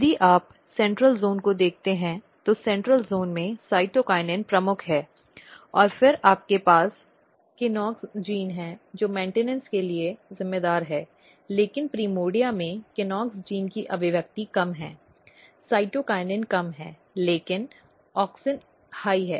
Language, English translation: Hindi, So, if you look the central zone, in central zone a cytokinin is predominant and then you have a KNOX gene which is responsible for the maintenance, but in the primordia KNOX gene expression is low cytokinin is low, but auxin is high